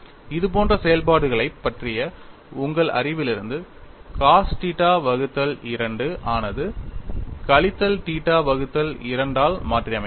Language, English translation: Tamil, From your knowledge of such functions, you can recast them like cos theta by 2 minus i sin theta by 2